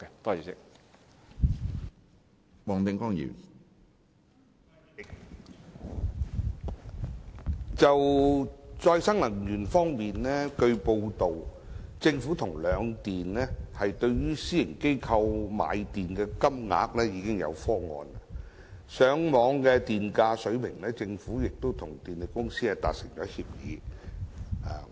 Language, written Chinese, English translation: Cantonese, 主席，據報道，在再生能源方面，政府與兩電對私營機構購買電力的金額已訂下方案；而就上網電價水平而言，政府亦與電力公司達成協議。, President as to RE it is reported that the Government and the two power companies have drawn up the rates for purchasing electricity from private organizations and as far as the FiT level is concerned the Government and the two power companies have also reached an agreement